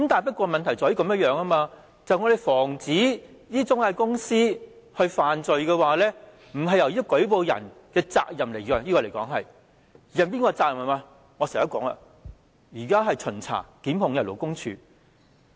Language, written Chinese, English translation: Cantonese, 不過，問題在於我們要防止中介公司犯罪，這並非舉報人的責任，而是負責巡查及檢控的勞工處。, However the point is The responsibility of preventing intermediaries from committing offences does not lie with the person making a report but with the Labour Department LD which is in charge of inspection and instituting prosecutions